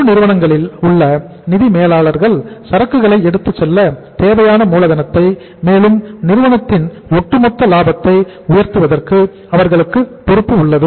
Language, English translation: Tamil, Financial managers in corporates have a responsibility both for raising the capital needed to carry inventory and for the firm’s overall profitability right